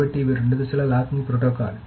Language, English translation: Telugu, So there are some variants of the two phase locking protocol